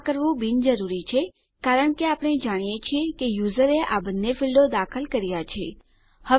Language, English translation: Gujarati, Its unnecessary to do so since we know the user has entered both these fields